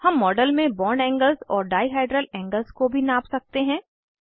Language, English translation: Hindi, We can also measure bond angles and dihedral angles in a model